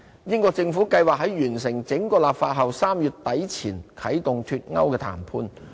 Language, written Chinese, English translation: Cantonese, 英國政府計劃在完成整個立法後 ，3 月底前啟動"脫歐"談判。, The British Government intends to trigger Brexit negotiation by March upon completing the entire legislative process